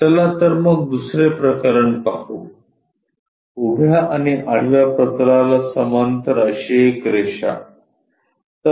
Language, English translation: Marathi, Let us look at second case: A line parallel to both vertical plane and horizontal plane